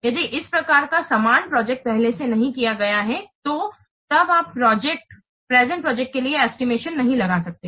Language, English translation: Hindi, If similar kinds of projects they have not been done earlier then this is then you cannot estimate for the current project